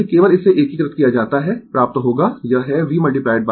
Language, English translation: Hindi, If you just integrate this, you will get it is V into I